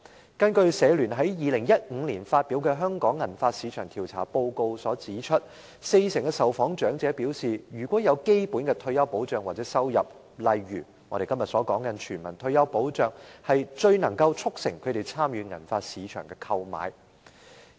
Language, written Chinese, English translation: Cantonese, 根據香港社會服務聯會在2015年發表的《香港銀髮市場調查報告》，四成受訪長者表示，如果有基本的退休保障或收入，例如我們今天所說的全民退休保障，最能促成他們參與銀髮市場的購買活動。, According to the Report on a survey on the silver hair market in Hong Kong published by the Hong Kong Council of Social Services HKCSS in 2015 40 % of the elderly respondents said that if they have basic retirement protection or income such as the universal retirement protection that we talk about today they would be most encouraged to take part in shopping activities in the silver hair market